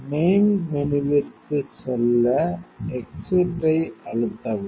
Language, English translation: Tamil, So, press to exit to the main menu